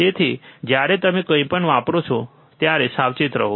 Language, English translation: Gujarati, So, be cautious when you use anything, right